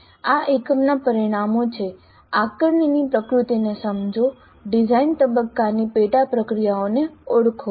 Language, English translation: Gujarati, The outcomes for this unit are understand the nature of assessment, identify the sub processes of design phase